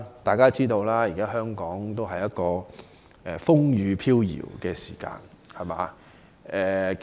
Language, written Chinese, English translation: Cantonese, 大家都知道，香港目前處於一個風雨飄搖的時期。, As we all know Hong Kong is now undergoing a stormy period